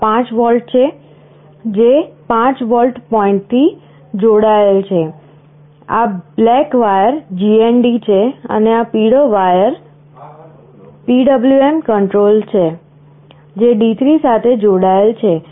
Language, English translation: Gujarati, This is 5 volts, which is connected to the 5 volt point, this black wire is GND, and this yellow wire is the PWM control, which is connected to D3